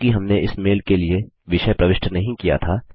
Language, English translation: Hindi, This is because we did not enter a Subject for this mail